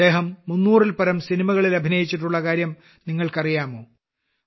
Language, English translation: Malayalam, Do you know that he had acted in more than 300 films